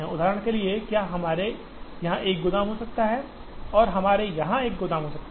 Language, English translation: Hindi, For example, can we have one warehouse here and we have one warehouse here